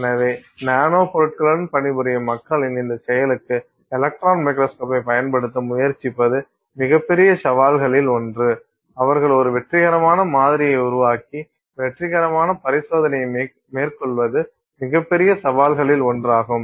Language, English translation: Tamil, So, invariably one of the biggest challenges for people working with nanomaterials to the extent that they are trying to use the electron microscope for this activity, one of the biggest challenges is for them to make a successful sample and make a successful experiment